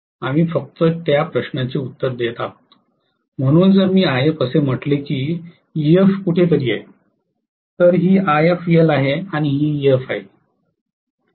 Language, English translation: Marathi, We are just answering that question, okay so if this is IF I said that Ef is somewhere here, Ef is somewhere here, right this is IF dash and this is Ef